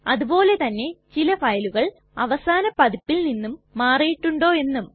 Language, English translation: Malayalam, Also we may want to see whether a file has changed since the last version